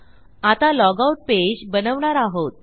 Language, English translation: Marathi, But now I want to create a log out page